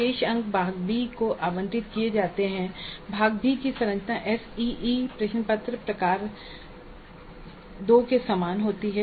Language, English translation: Hindi, The remaining marks are related to part B and the structure of part B is quite similar to the SCE question paper type 2